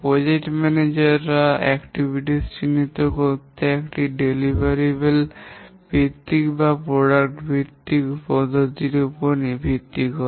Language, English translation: Bengali, The second approach that the project manager uses to identify the activities is based on a deliverable based approach or product based approach